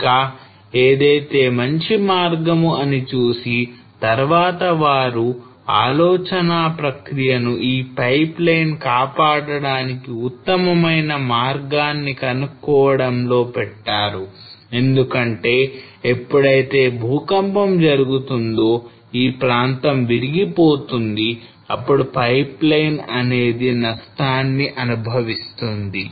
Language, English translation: Telugu, And what is the best way then they started the thought process started was what is the best way to save this pipeline because whenever there will be an earthquake this area will break and then of course the damage will be experienced by the pipeline